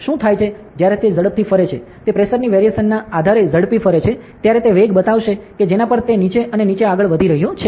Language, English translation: Gujarati, So, what happens is, when it moves fast when moves fast based on the pressure variation it will show the velocity at which it is moving up and down ok